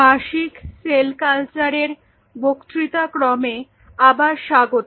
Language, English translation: Bengali, So, welcome back to the lecture series in annual cell culture